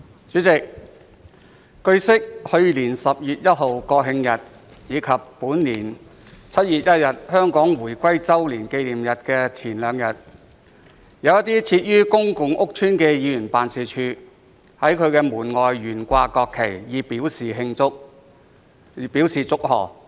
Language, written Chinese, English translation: Cantonese, 主席，據悉，去年10月1日國慶日及本年7月1日香港回歸週年紀念日的前兩天，有一些設於公共屋邨的議員辦事處在其門外懸掛國旗，以表祝賀。, President it is learnt that two days before the National Day on 1 October last year and the anniversary of reunification of Hong Kong on 1 July this year some members offices set up in public housing estates flew the national flag outside their entrances to celebrate the occasions